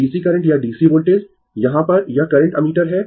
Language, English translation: Hindi, DC current or DC voltage here it is current ammeter right